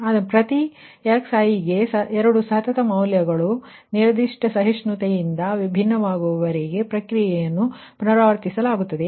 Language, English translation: Kannada, so the process is repeated until two successive values for each xi differ only by specified tolerance